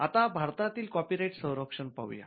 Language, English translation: Marathi, Now let us look at Copyright protection in India